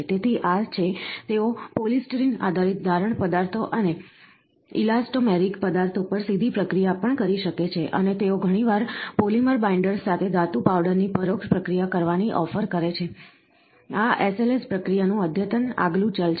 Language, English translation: Gujarati, So, these are, they can also process polystyrene based casting materials and elastomeric materials directly and they often offer indirect processing of metal powders with polymer binders, this is an advanced next variant of SLS process